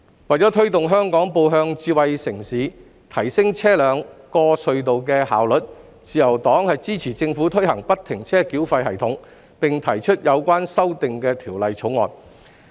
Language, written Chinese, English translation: Cantonese, 為推動香港步向智慧城市，提升車輛過隧道的效率，自由黨支持政府推行不停車繳費系統，並提出《條例草案》以作有關修訂。, To promote Hong Kongs development into a Smart City and to improve the traffic flow efficiency at the tunnels the Liberal Party supports the implementation of FFTS by the Government and its introduction of the Bill for making the amendments concerned